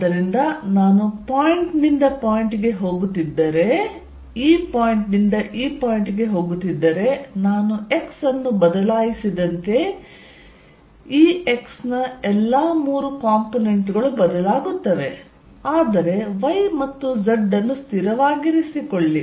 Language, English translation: Kannada, So, if I am going from point to point, this point to this point, this point this point all three components E x changes as I change x, but keep y and z fixed